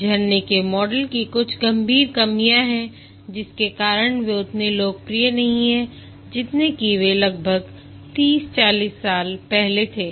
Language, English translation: Hindi, There are some severe shortcomings of the waterfall model because of which they are not as popular as they were about 30, 40 years back